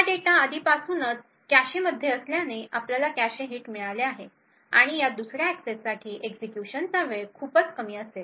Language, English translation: Marathi, Since this data is already present in the cache, therefore we obtain a cache hit and the execution time for this second access would be considerably smaller